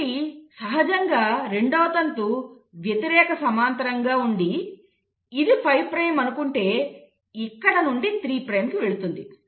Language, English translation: Telugu, Then obviously the second strand is going to be antiparallel, so this will be 5 prime and it will go 3 prime